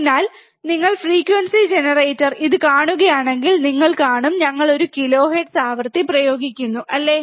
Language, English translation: Malayalam, So, if you see the frequency generator, frequency generator, this one, you will see we have we are applying one kilohertz frequency, right